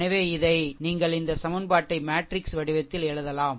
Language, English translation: Tamil, So, that is why this your this 2 equations, you can write in the matrix form, right